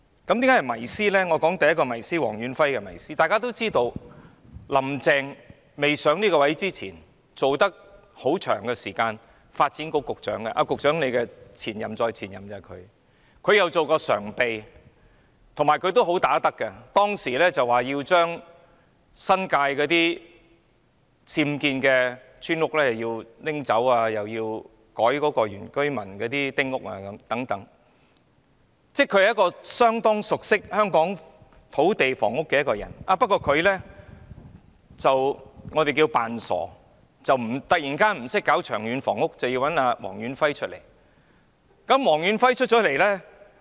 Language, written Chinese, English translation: Cantonese, 我說說黃遠輝的第一個迷思，大家都知道，"林鄭"未上任前曾長時間擔任發展局局長——她是局長的前任再前任——她亦曾任常任秘書長，而且"好打得"，當時表示要處理新界的僭建村屋，又要修改原居民的丁屋政策，她是相當熟悉香港土地房屋事務的人，不過，我們說她裝傻，突然不懂處理長遠房屋供應的問題，要找來黃遠輝。, As we all know Carrie LAM served as the Secretary for Development for a long time before she took office―she was the predecessor of the Secretarys predecessor―and she also served as the Permanent Secretary . Being a good fighter she indicated back then her intention to deal with village houses with unauthorized building works in the New Territories and to amend the New Territories small house policy on indigenous inhabitants . She was rather familiar with the land and housing issues of Hong Kong